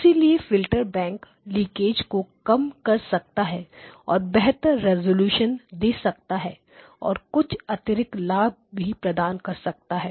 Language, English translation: Hindi, And that is why a filter bank can reduce leakage and gives better resolution and give you the additional benefits